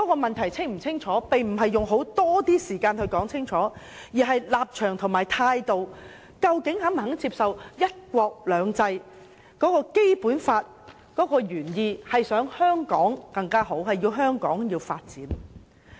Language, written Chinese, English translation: Cantonese, 問題清楚不過，其實並非要花多些時間討論，而是立場和態度，大家究竟是否肯接受"一國兩制"及《基本法》的原意為香港發展得更好而設。, The issue is very clear . It is not about whether more time should be spent on the discussion but a matter of stance and attitude . Are they willing to accept that the original intent of one country two systems and the Basic Law is to enable better development of Hong Kong?